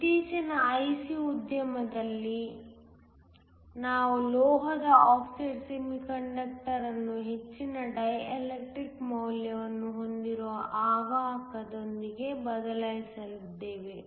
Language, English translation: Kannada, In the recent IC industry, we replaced the metal oxide semiconductor with an insulator that has a high dielectric value